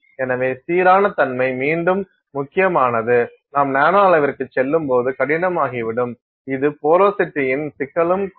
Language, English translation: Tamil, So, uniformity is important again that becomes difficult when you go to the nanoscale, also this issue of porosity